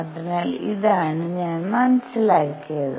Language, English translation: Malayalam, So, this is what I figured out